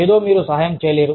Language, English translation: Telugu, Something, that you cannot help